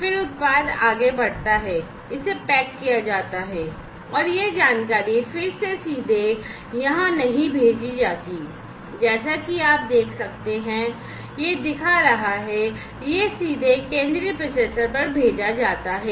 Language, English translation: Hindi, Then the product moves on further, it is packaged and that information again is sent directly not over here, as you can see over here, this is showing that it is sent directly to the central processor